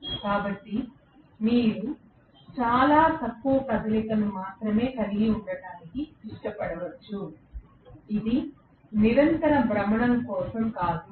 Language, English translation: Telugu, So you might like to have only a very very short movement, it is not for continuous rotation